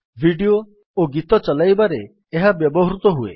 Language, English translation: Odia, It is used to play videos and songs